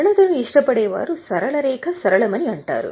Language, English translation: Telugu, I think those who like simplicity will say that straight line is simple